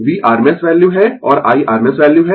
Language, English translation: Hindi, v is the rms value and I is the rms value